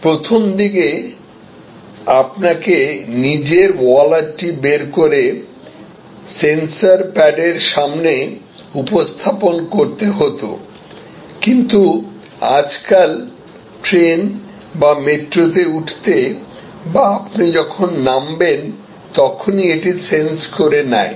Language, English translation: Bengali, Initially, you have to take out your wallet and just present it in front of the sensor pad, but nowadays it just senses as you get on to the train or metro or you get off